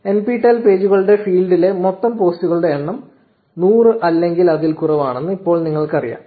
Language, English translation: Malayalam, So, now, you know that the total number of posts in the NPTEL pages feed is 100 or less